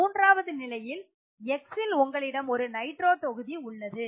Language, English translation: Tamil, The third case is where you have X which is a nitro group